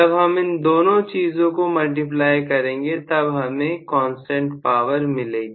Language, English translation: Hindi, So, both of them when multiply, we are going to have constant power